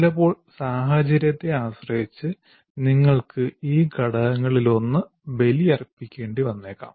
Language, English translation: Malayalam, So sometimes depending on the situation, you may have to sacrifice one of these elements